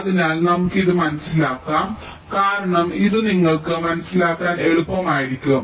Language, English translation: Malayalam, so, ah, lets i just work this out your, because it will be easier for you to understand